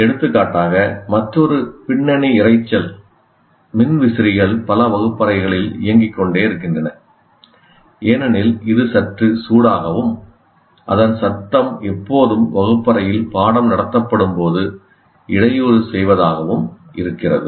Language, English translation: Tamil, For example, another background noise in many classrooms, you have fans going on because it's quite hot and then you have that noise constantly disturbing what is being present